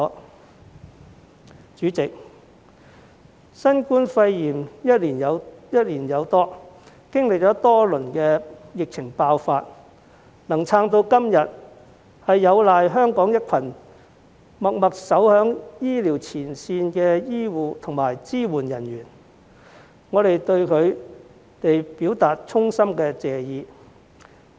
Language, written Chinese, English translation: Cantonese, 代理主席，新冠肺炎歷時超過1年，經歷多輪疫情爆發，能撐至今時今日，有賴香港一群默默守在醫療前線的醫護和支援人員，我們對他們表達衷心謝意。, Deputy President it has been more than a year since the outbreak of the novel coronavirus . Up till today we can only weather the previous waves of epidemic outbreak thanks to a group of local healthcare and supporting staff who have been working quietly at the healthcare front line . We owe them our deepest gratitude